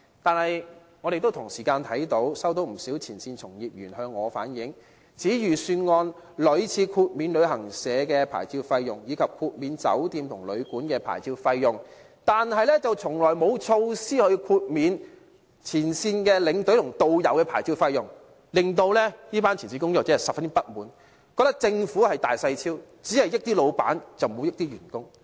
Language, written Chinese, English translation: Cantonese, 但是，我們同時看到，不少前線從業員亦向我反映，指預算案屢次豁免旅行社的牌照費用，以及豁免酒店和旅館的牌照費用，但從來沒有措施豁免前線領導和導遊的牌照費用，令這群前線工作者十分不滿，覺得政府厚此薄彼，只優惠老闆，而不優惠員工。, However many frontline staff reflected to me that more than one Budgets have introduced licence fee waivers to travel agents hotels and guesthouses but there has never been any measure to waive the licence fees of frontline tour escorts and tourist guides . These frontline workers are deeply unsatisfied as they feel that the Government favours employers more than employees and thus will only provide benefits to the former